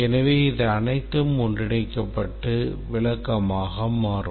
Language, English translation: Tamil, So it's all interspersed and it becomes very descriptive